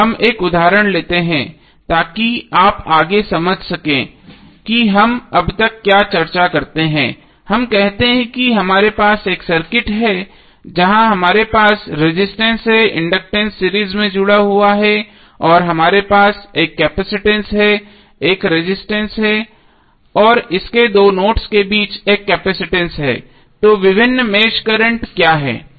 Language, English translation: Hindi, Now let us take one example so that you can further understand what we discus till now, let us say that we have a circuit given in the figure where we have resistance, inductance are connected in series and we have one capacitance, one resistance and one capacitance here between this two nodes, so what are various mesh currents